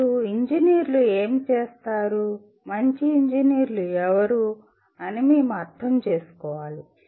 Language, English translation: Telugu, And now coming to actually what do engineers do, we want to understand who are good engineers